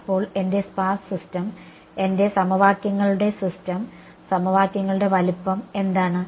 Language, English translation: Malayalam, So, my sparse system what is the size of my equations system of equations